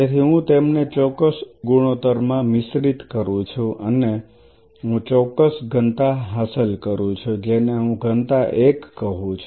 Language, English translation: Gujarati, So, I mix them at a particular ratio and I achieve particular density say I said density 1